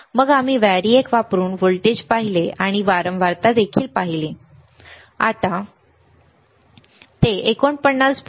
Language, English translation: Marathi, Then we have seen the voltage using the variac and we have also seen the frequency, we have seen the frequency